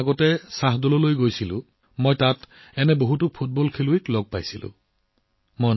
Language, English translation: Assamese, When I had gone to Shahdol a few weeks ago, I met many such football players there